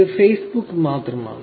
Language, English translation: Malayalam, So, that is only Facebook